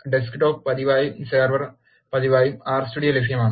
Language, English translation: Malayalam, R Studio is also available as both Desktop version and Server version